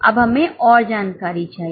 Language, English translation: Hindi, Now, we need more information